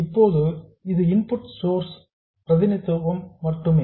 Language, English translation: Tamil, Now this is just a representation of the input source